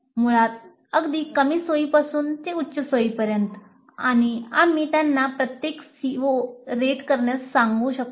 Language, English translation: Marathi, Basically from very low comfort to high comfort and we can ask them to rate each CO